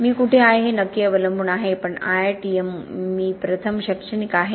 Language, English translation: Marathi, It depends exactly where I am but IITM I am an academic first